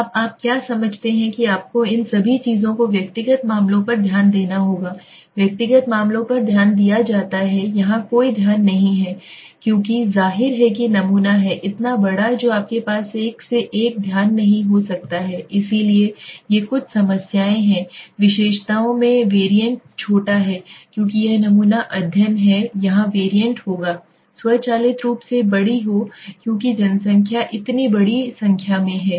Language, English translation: Hindi, Now what you understand you have to see all these things right attention to individual cases yes there is an attention to individual cases here there is no attention because obviously the sample is so large so you cannot have one to one attention so these are the some of the problems here the variants in the characteristics is small while because this is sample study here the variants would automatically be large because the population so large in number